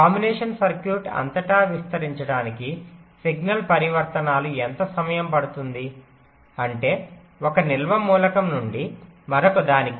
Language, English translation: Telugu, so how long signal transitions will take to propagate across the combinational circuit means from one storage element to the next